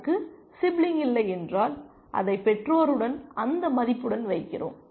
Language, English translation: Tamil, If it has no sibling, we place it with the parent with that value